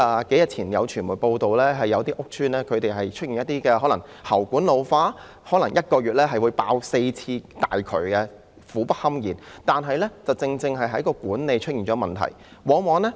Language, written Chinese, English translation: Cantonese, 數天前有傳媒報道，有些屋邨出現了喉管老化的問題，可能1個月會爆4次大渠，令住戶苦不堪言，這顯示管理出現了問題。, Several days ago it was reported by the media that some housing estates are beset with the problem of ageing pipes . The mains may burst four times a month causing unbearable misery to the residents . This shows that there are problems with the management